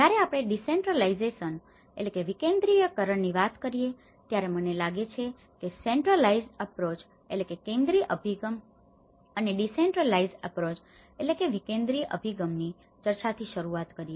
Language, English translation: Gujarati, When we talk about decentralization, I think let’s start our discussion with the centralized approach and the decentralized approach